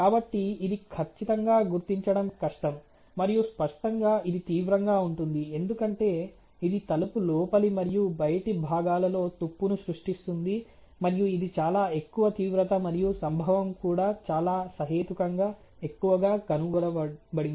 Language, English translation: Telugu, So, it is definitely a defect which has a very difficult detectability and obviously it is severe, because it creates rust in the inner and outer members of the door and that is a very you know you can say that the severity of this problem is quite high and the occurrence also it has been found is quite reasonably high